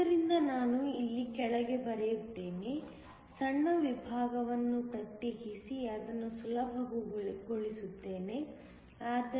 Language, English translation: Kannada, So, let me just write the down here; separate a small section make it easier